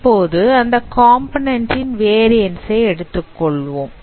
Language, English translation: Tamil, Now you consider the variance of this component